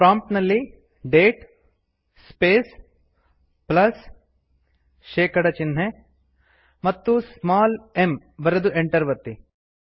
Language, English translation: Kannada, Type at the prompt date space plus percentage sign small h and press enter